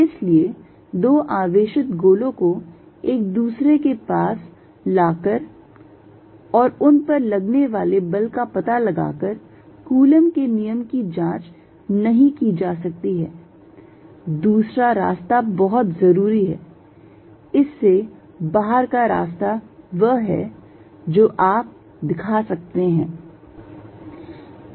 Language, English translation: Hindi, So, coulomb's law cannot be checked simply by bringing two charged spheres of closed to each other and then measuring force between them a way out is very interested, the way out of this is at what you can show is that